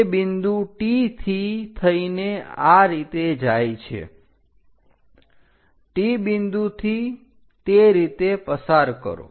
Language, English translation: Gujarati, It goes via T point in this way; pass via T point in that way